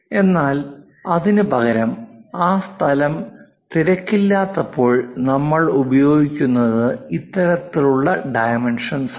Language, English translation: Malayalam, But whenever that space is not there congested instead of that what we use is this kind of dimensioning